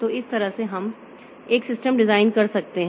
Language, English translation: Hindi, So, this way we can design a system